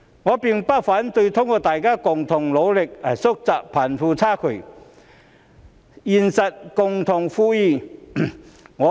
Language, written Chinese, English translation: Cantonese, 我並不反對通過大家的共同努力來縮窄貧富差距，實現共同富裕。, I am not against the idea of narrowing the gap between the rich and the poor and achieving common prosperity through our joint efforts